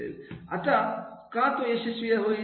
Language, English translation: Marathi, Why he will be successful